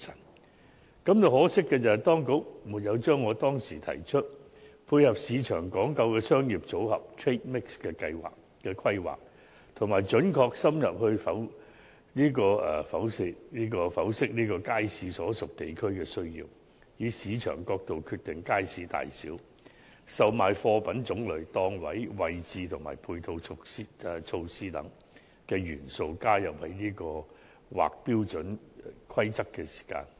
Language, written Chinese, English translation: Cantonese, 我感到可惜的是，當局沒有將我當時提出，配合市場講求的商業組合規劃，以及"準確深入剖析街市所屬地區的需要，以市場角度決定街市大小、售賣貨品種類、檔位位置及配套措施"等元素，加入在《規劃標準》之內。, I find it regrettable that the authorities did not incorporate into HKPSG certain elements proposed by me back then such as the proposals that planning should be in line with the trade mix desired by the market and that the needs of the districts to which the markets belong should be analysed accurately and in depth and the sizes types of commodities on offer layout of stalls and ancillary measures of individual markets should be determined from a market perspective